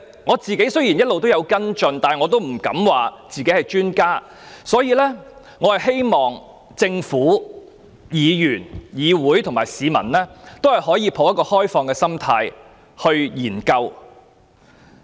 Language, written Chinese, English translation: Cantonese, 我個人雖有一直跟進，但也不敢自詡是專家，所以我希望政府、議員、議會和市民均可持開放態度進行研究。, Although I have been following this matter I dare not boast about being an expert in this respect and I therefore hope that the Government fellow Members the legislature and the general public would look into the issue with an open mind